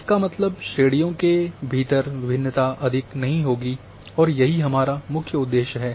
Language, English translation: Hindi, That means the variation within classes would not be much that is the main aim here